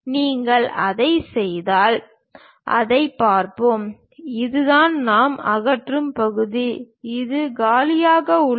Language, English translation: Tamil, If you do that, let us look at that; this is the part what we are removing and this is completely empty